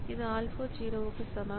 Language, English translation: Tamil, So, this is alpha equal to 0